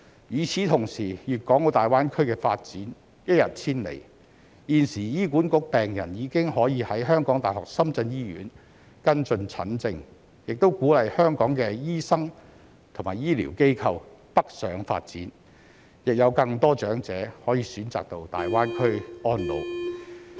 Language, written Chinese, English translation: Cantonese, 與此同時，粵港澳大灣區的發展一日千里，現時醫管局病人已可以在香港大學深圳醫院跟進診症，亦鼓勵香港的醫生和醫療機構北上發展，亦有更多長者可能選擇到大灣區安老。, At the same time given the rapid development of the Guangdong - Hong Kong - Macao Greater Bay Area HA patients are already eligible to receive treatment at the University of Hong Kong Shenzhen Hospital doctors and healthcare organizations are encouraged to go north for development and more elderly persons will possibly choose to spend their twilight years in the Greater Bay Area